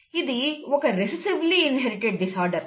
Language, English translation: Telugu, That is recessively inherited disorder